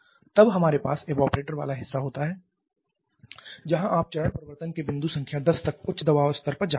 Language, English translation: Hindi, Then we have the evaporator part where you are having the phase change going up to point number 10 much higher pressure level